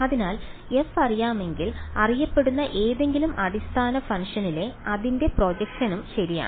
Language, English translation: Malayalam, So, if f is known then its projection on any known basis function is also known right